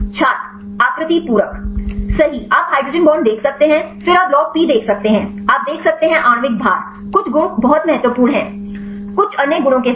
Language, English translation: Hindi, Shape complementary Right you can see the hydrogen bonds, then you can see the log P, you can see molecular weight some properties are very important; along with some other properties